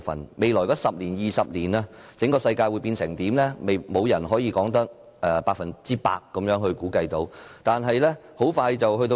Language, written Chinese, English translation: Cantonese, 在未來的10年或20年，整個世界會變成怎樣，沒有人可以百分之百估計得到。, No one can 100 % estimate the changes of the world in the next 10 or 20 years but we can foresee and affirm that artificial intelligence autopilot wearables Internet of Things 3D printing and robots etc